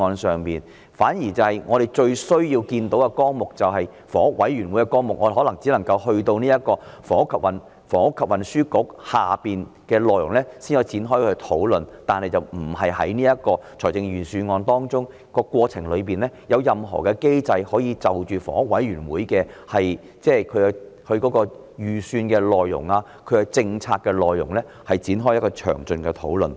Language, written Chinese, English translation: Cantonese, 相反地，我們最需要看到的綱領是有關房委會的綱領，但我們可能只能夠去到運輸及房屋局的項目下才能夠展開討論，但這卻並不包括在預算案當中，而過程中也沒有任何機制可容許就着房委會的預算和政策內容展開詳盡討論。, Instead the programme that we need to see most of all is one related to HA but perhaps we can have a discussion about it only when we reach the items under the Transport and Housing Bureau but it is not included in the Budget either nor is there any mechanism that allows a detailed discussion on HAs budget or policies in this process